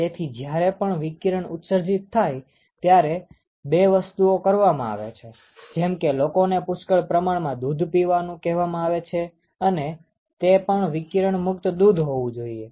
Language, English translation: Gujarati, So, that is why when there is a radiation exposure a couple of things that is generally done is, they ask people to drink a lot of milk which is again radiation free milk